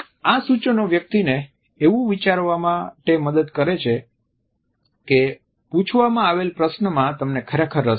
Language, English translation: Gujarati, These suggestions help a person to think that you are genuinely interested in the question which has been asked